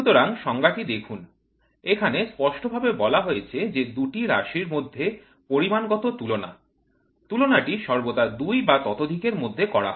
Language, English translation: Bengali, So, look at it how clearly the definitions states is quantitative comparison between two variables; comparison always happens between two or many